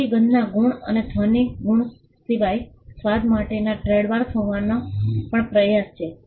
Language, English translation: Gujarati, So, apart from the smell marks and the sound marks, there is also an attempt to have trademarks for taste